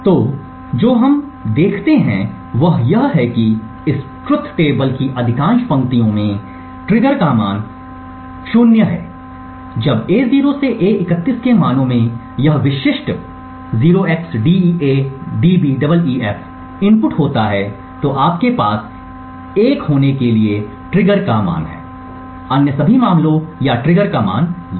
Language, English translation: Hindi, So, what we see in this is that in most of the rows in this truth table the trigger has a value of 0 exactly when the values of A0 to A31 has this specific 0xDEADBEEF input then you have a value of trigger to be 1, in all other cases or trigger has a value of 0